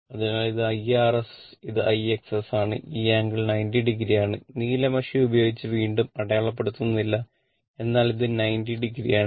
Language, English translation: Malayalam, So, this this one my IR S and this is my IX S right and this angle is 90 degree not marking again by blue ink , but this is 90 degree